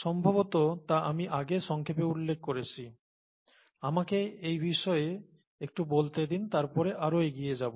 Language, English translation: Bengali, I probably briefly mentioned that in the passing earlier, let me talk a little bit about that and then go further